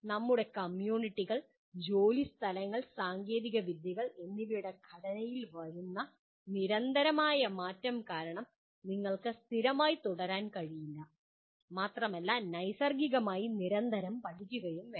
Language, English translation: Malayalam, Because of the constant change in the structure of our communities, work places, technologies you cannot remain static and you have to constantly learn on the fly